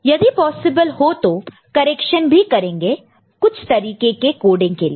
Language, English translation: Hindi, And if possible, correction will be done for some specific kind of coding